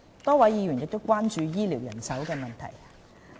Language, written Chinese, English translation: Cantonese, 多位議員關注醫療人手問題。, Many Members are concerned about health care manpower